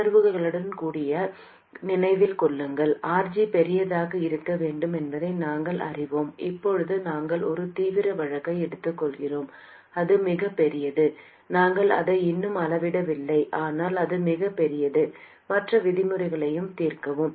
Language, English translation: Tamil, Remember even intuitively we know that RG has to be large and now we are kind of taking an extreme case, it is very large, we have not quantified it yet but it is very large and overwhelms all the other terms